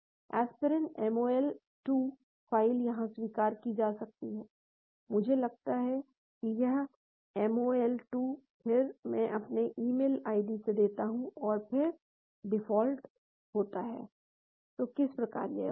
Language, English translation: Hindi, Aspirin mol 2 file is accepted here I think it is mol 2, then I give my email id and then default, that is how it is done